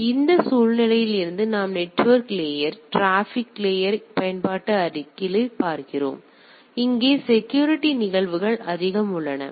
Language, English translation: Tamil, So, from that context what we see that from network layer transport layer application layer; here the security phenomena are more predominant